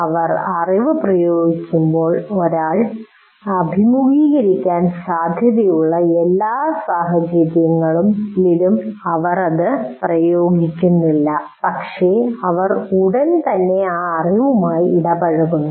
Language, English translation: Malayalam, As we said, when they're applying the knowledge, they are not applying it to all conceivable situations that one is likely to encounter, but is immediately getting engaged with that knowledge